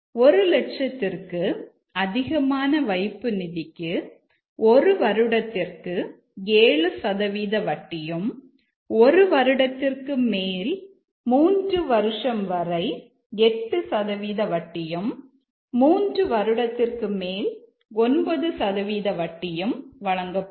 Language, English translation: Tamil, Again, we'll take the case of depositing less than 1,000 rate of interest is 6% for 1 year, 7% for deposit 1 year to 3 year and 8% for 3 year and above